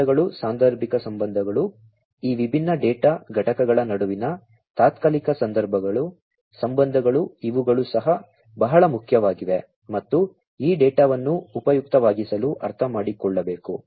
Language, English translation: Kannada, The relationships the causal relationships, the temporal relationships between these different data components, these are also very important and will have to be understood in order to make this data useful